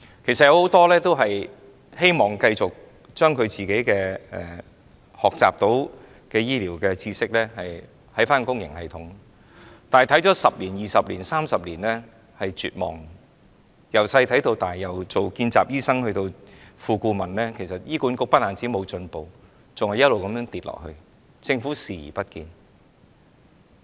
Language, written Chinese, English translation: Cantonese, 其實很多醫生希望繼續將所學醫療知識應用於公營系統，但看了10年、20年、30年，便絕望了；從小看到大，由當年任見習醫生到現在當副顧問醫生，看到醫管局不但沒有進步，還不斷沉淪，政府卻視而不見。, In fact many doctors hoped that they could continue to apply their medical knowledge on the public system . But after observing the system for 10 years 20 years or 30 years they are in despair . From being medical interns to Associate Consultants they have been observing the system for many years